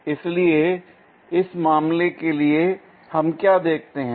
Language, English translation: Hindi, So, what we will see for that case